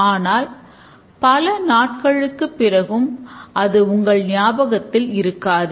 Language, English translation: Tamil, But what about after several days you will hardly remember anything